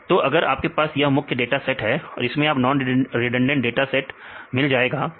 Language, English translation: Hindi, So, if we have this is the main dataset and you can get the non redundant this is the non redundant dataset